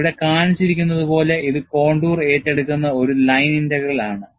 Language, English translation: Malayalam, It is essentially a line integral, taken over the contour, as shown here